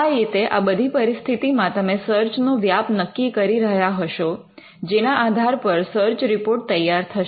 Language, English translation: Gujarati, So, in all these cases, you would be describing the scope of the search based on which the search report will be generated